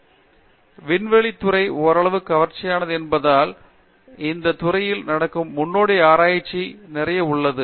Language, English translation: Tamil, So in fact, because aerospace is somewhat exotic, so there is a lot of pioneering research that happens in this field